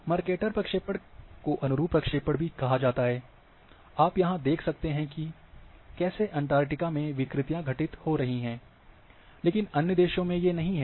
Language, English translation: Hindi, Mercator projection is also called conformal projections; this is how the distortions which are occurring to the Antarctica, but other countries are